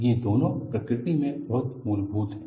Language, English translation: Hindi, These two are very fundamental in nature